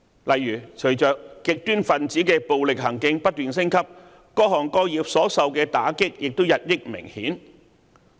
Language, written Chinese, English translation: Cantonese, 例如，隨着極端分子的暴力行徑不斷升級，各行各業所受到的打擊也日益明顯。, For example as the violence of extremists has been escalating the impact on all sectors has become more apparent